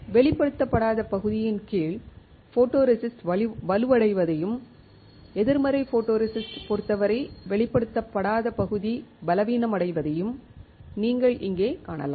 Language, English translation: Tamil, Here you can see that the photoresist under the area which was not exposed becomes stronger and in the negative photoresist case the area not exposed becomes weaker